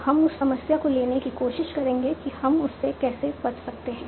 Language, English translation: Hindi, So we will try to take that problem, how we can avoid that